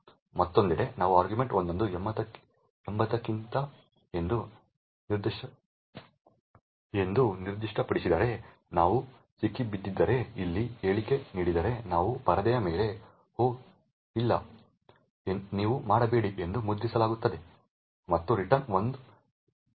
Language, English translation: Kannada, On the other hand if you specify argv1 as 80 then it is caught by this if statement over here we get ‘Oh no you do not’ gets printed on the screen and there is a return minus 5